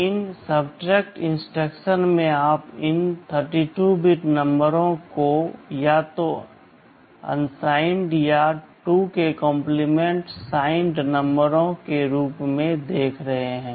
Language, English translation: Hindi, And, in these subtract instructions you are viewing these 32 bit numbers as either unsigned or as 2’s complement signed numbers